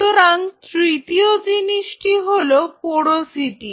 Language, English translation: Bengali, So, the third thing comes is the porosity